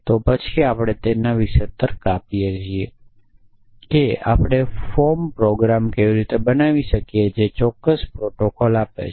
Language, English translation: Gujarati, Then how can we reason about it how can we show form example that given a certain protocol